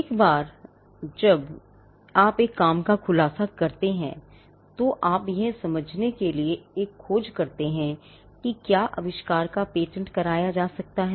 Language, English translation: Hindi, Once you have a working disclosure, you do a search to understand whether the invention can be patented